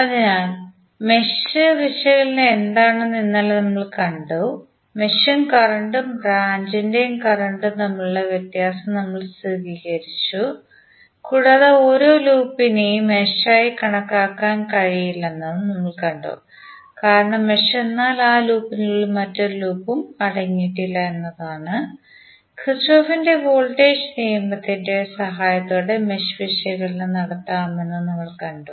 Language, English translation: Malayalam, So, yesterday we saw the what is mesh analysis and we stabilized the difference between the mesh current and the branch current and we also saw that the every loop cannot be considered as mesh because mesh is that loop which does not contain any other loop within it and we also saw that the mesh analysis can be done with the help of Kirchhoff Voltage Law